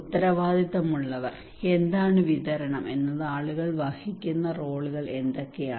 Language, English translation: Malayalam, Accountable, what is the distribution what are the roles people are playing